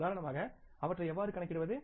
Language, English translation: Tamil, Now, for example, how do we calculate them